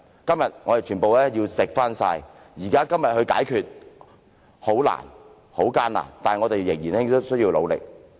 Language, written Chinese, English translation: Cantonese, 今天，我們要全然承受，雖然現在要解決這些問題很難、很艱難，但我們仍須努力。, Today we have to bear the full consequence . Though it is really difficult to resolve these issues now we still have to exert our level best